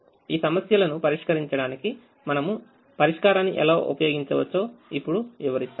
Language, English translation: Telugu, now we will also explain how we can use solver to try and solve these problems